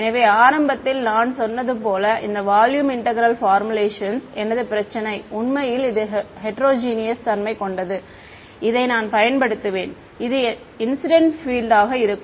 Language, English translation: Tamil, So, these volume integral formulations as I said in the very beginning, when my problem is actually heterogeneous this is what I will use; the incident field is going to be ah